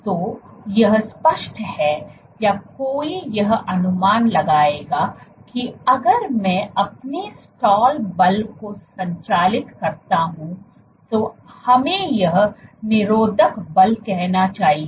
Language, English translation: Hindi, So, it is obvious or one would anticipate that if I operate if my stall force let us say this restraining force